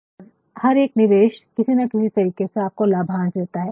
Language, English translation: Hindi, And, every investment some way or the other will have the dividends